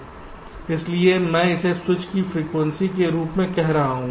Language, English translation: Hindi, so i am calling it as the frequency of switch